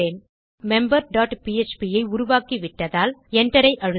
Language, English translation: Tamil, Now as weve created member dot php, press Enter